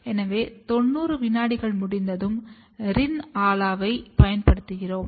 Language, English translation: Tamil, So, once 90 second is complete then we use Rin Ala